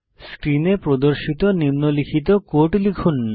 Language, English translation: Bengali, Type the following code as displayed on the screen